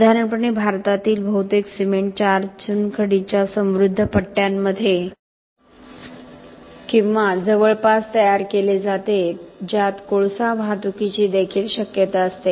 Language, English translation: Marathi, Generally, most of the cement in India is manufactured in or near four limestone rich belts which also have the possibility of access of transportation a coal